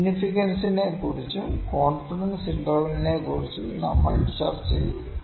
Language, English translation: Malayalam, We will discuss about significance and confidence intervals